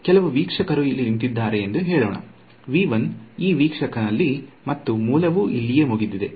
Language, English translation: Kannada, So, let us say that there is some observer standing over here in v 1 this observer and the source was over here right